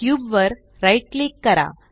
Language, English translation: Marathi, Right click on the cube